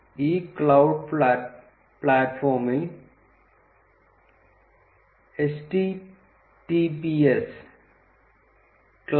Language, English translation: Malayalam, This cloud platform can be reached at https cloud